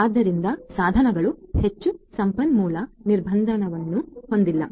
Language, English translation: Kannada, So, the devices are not highly resource constrained